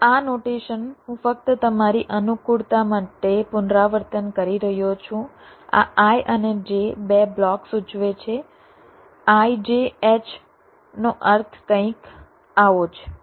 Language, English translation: Gujarati, so this notation i am just repeating for your convenience: this i and j indicate two blocks